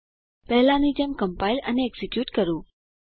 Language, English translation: Gujarati, Compile and execute as before